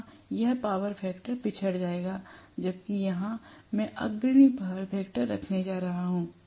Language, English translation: Hindi, Here it will be lagging power factor, whereas here, I am going to have leading power factor